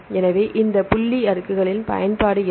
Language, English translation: Tamil, So, what is the application of this dot plots